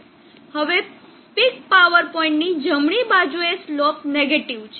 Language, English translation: Gujarati, Now on the right side of the peak power point the slope is negative